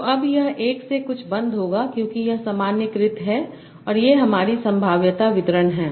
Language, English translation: Hindi, So now this is this will sum up to 1 because this is normalized and these are my probability distribution